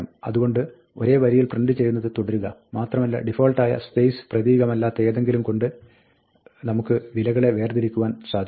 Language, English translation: Malayalam, So, continue printing in the same line and we can separate the values by something other than the default space character